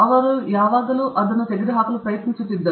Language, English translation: Kannada, He was always trying to remove it